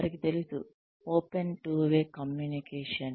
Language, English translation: Telugu, They know through, open two way communication